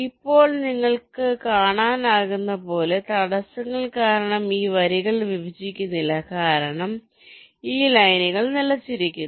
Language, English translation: Malayalam, now, as you can see, because of the obstacles, this lines are not intersecting, because this lines are getting stopped